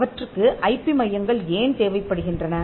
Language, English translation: Tamil, Why do they need IP centres